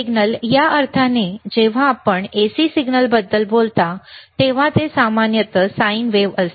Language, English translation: Marathi, Signals in the sense, that when you talk about AC signal, it is generally sine wave,